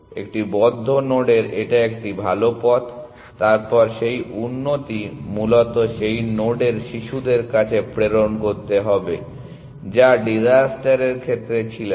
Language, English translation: Bengali, A better path to a node in the closed, then that improvement has to be passed on to children of that node essentially, which was not the case in disaster